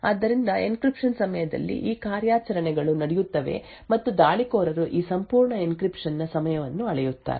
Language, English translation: Kannada, So, during the encryption these operations take place and then the attacker measures the time for this entire encryption